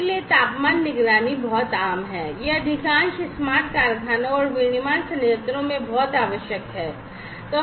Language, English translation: Hindi, So, temperature monitoring is very common it is very much required in most of the smart factories and manufacturing plants